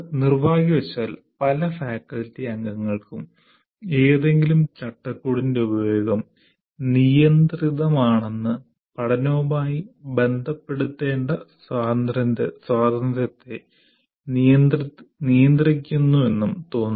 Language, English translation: Malayalam, Many faculty members feel use of any framework is restrictive and restricts freedom that should be associated with learning